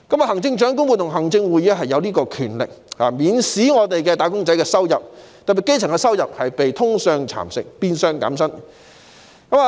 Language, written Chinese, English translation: Cantonese, 行政長官會同行政會議有權免使"打工仔"的收入被通脹蠶食，變相減薪。, The Chief Executive in Council has the power to avoid the erosion of employees incomes by inflation otherwise it will be a de facto pay cut for them